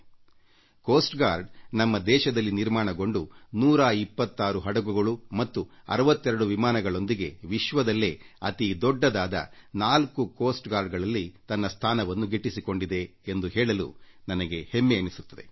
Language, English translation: Kannada, It is a matter of pride and honour that with its indigenously built 126 ships and 62 aircrafts, it has carved a coveted place for itself amongst the 4 biggest Coast Guards of the world